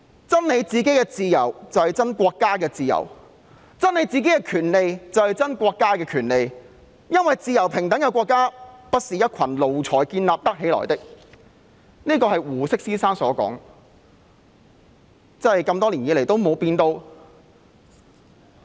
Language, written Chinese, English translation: Cantonese, "爭你們個人的自由，便是為國家爭自由；爭你們個人的權利，便是為國家爭權利，因為自由平等的國家不是一群奴才建造得起來的"，這是胡適先生所說的，多年後仍然沒有變。, Mr HU Shi said To fight for your individual freedom is to fight for the freedom of your nation; to fight for your individual rights is to fight for the rights of your nation for a free and equal society cannot be built by a group of servile subjects . It still rings true after so many years